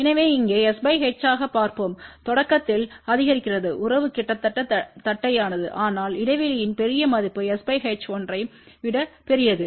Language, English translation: Tamil, So, let us see here as s by h increases in the beginning the relation is almost close to flat , but for larger value of the gap s by h greater than 1